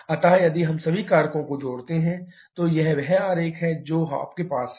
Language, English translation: Hindi, So, if we combine all the factors, this is the diagram that you have